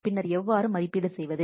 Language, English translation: Tamil, Then how to evaluate